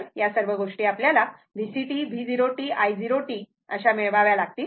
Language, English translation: Marathi, So, all these things you have to obtain V C t V 0 t i 0 t